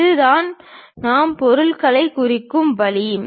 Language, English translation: Tamil, This is the way we represent materials